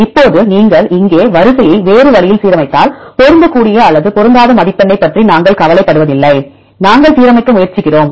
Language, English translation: Tamil, Now, if you align the sequence in a different way here we do not care about the matching or mismatching score just we try to align